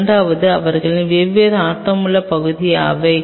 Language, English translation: Tamil, Second what are their different areas of interest